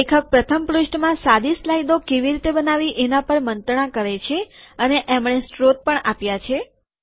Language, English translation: Gujarati, In the very first page the author talks about how to create simple slides and he has given the source also